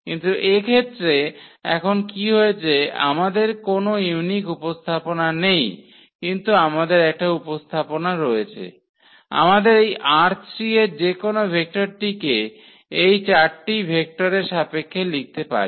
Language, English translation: Bengali, But what happened now in this case we do not have a unique representation, but we can represented, we can write down any vector from this R 3 in terms of these given four vectors